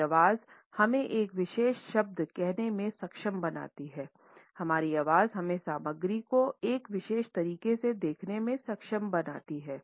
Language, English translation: Hindi, Our voice enables us to say a particular word, our voice enables us to see the content in a particular manner